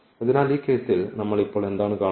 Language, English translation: Malayalam, So, what do we see now in this case